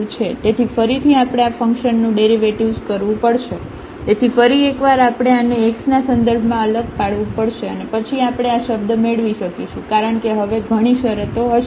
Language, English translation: Gujarati, So, to again we have to get the derivative of this function, so once again we have to differentiate this with respect to x and then we can get this term because there will be now many terms